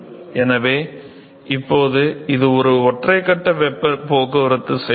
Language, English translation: Tamil, So, therefore, it now a single phase heat transport process